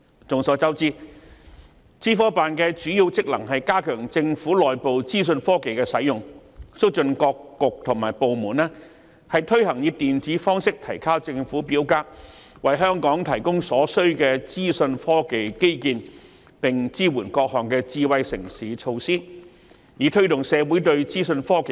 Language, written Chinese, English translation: Cantonese, 眾所周知，資科辦的主要職能是加強政府內部資訊科技的使用，促進各局及部門推行以電子方式提交政府表格，為香港提供所需的資訊科技基建，並支援各項智慧城市措施，以推動社會應用資訊科技。, As we all know the major functions of OGCIO are to enhance the use of information technology IT in the Government facilitate the various bureaux and departments to implement the electronic submission of government forms provide Hong Kong with the necessary IT infrastructure and support various smart city initiatives to promote the application of IT in society